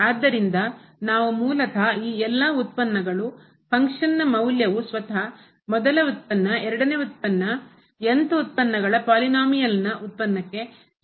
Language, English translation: Kannada, So, what we assume basically that all these derivatives, the function value itself the first derivative, the second derivative, and th derivative they all are equal to this derivative of the polynomial